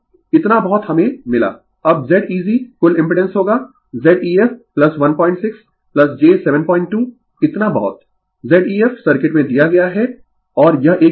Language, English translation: Hindi, So, this much we got, now Z eg the total impedance will be your Z ef plus your this much Z ef is given in the circuit 1